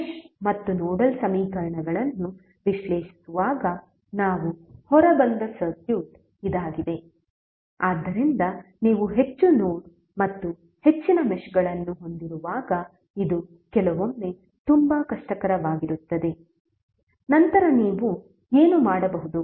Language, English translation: Kannada, Now this is the circuit we came out while analyzing the mesh and nodal equations, so this sometimes is very difficult when you have more nodes and more meshes, then what you can do